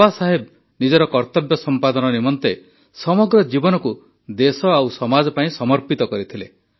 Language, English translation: Odia, Baba Saheb had devoted his entire life in rendering his duties for the country and society